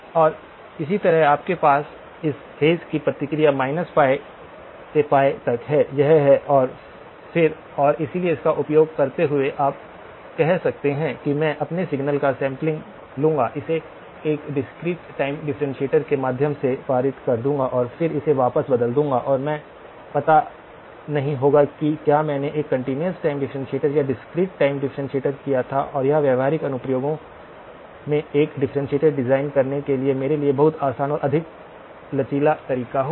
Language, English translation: Hindi, And similarly, you will have this phase response up to from minus pi to pi that is it and then and so using that you can then say that I will sample my signal, pass it through a discrete time differentiator and then convert it back and I would not know whether I did a continuous time differentiator or a discrete time differentiator and this would be a much easier and much more flexible method for me to design a differentiator in practical application